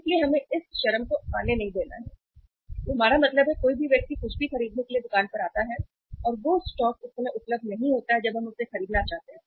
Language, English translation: Hindi, So we have not to allow this extreme to come that we means anybody comes to the store to buy anything and that stock is not available uh as and when we want to buy it right